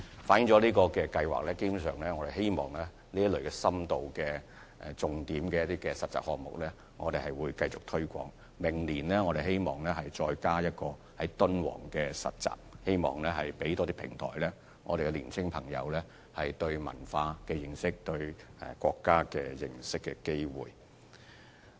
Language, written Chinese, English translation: Cantonese, 事實上，我們希望繼續重點推廣這類有深度的實習項目，更希望明年增加一項在敦煌進行的實習計劃，藉此提供更多平台，讓年青朋友提高對文化的認識和認識國家的機會。, In fact we hope to continue to focus on promoting this type of in - depth internship projects . What is more we hope to include an internship programme in Dunhuang next year in order to provide an additional platform to allow young people to gain a better understanding of culture and access more opportunities of learning more about the country